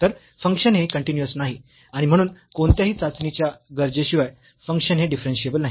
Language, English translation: Marathi, So, the function is not continuous and hence the function is not differentiable without any further test